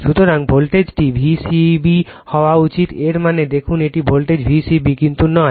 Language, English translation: Bengali, So, voltage should be V c b it means it is see the voltage V c b, but not V b c right